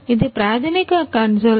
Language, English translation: Telugu, It is a it is the basic console